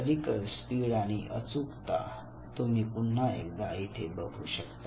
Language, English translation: Marathi, Clerical speed and accuracy, once again you can see here